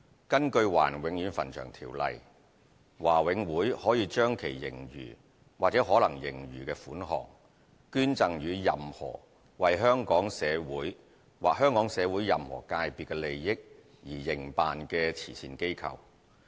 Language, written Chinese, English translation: Cantonese, 根據《華人永遠墳場條例》，華永會可將其盈餘或可能盈餘款項，捐贈予任何為香港社會或香港社會任何界別的利益而營辦的慈善機構。, According to the Ordinance BMCPC may donate to any charity operating for the benefit of the community of Hong Kong or any sector of that community any moneys vested in it which are or may become surplus